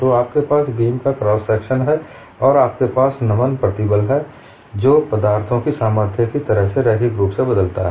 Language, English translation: Hindi, So you have the cross section of the beam, and you have the bending stress which varies linearly as in strength of materials